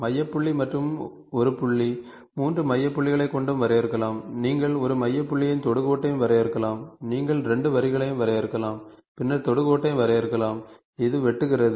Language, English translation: Tamil, So, centre point and a point here and then you can define 3 centre points, you can define a centre point and the tangent to, you can define 2 lines and then tangent to, which is intersecting